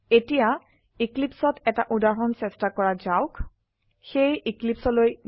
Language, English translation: Assamese, Now, let us try out an example in Eclipse